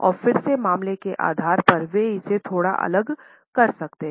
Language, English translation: Hindi, And again from case to case basis, they can vary it a bit